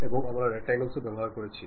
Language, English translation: Bengali, And also we went with rectangles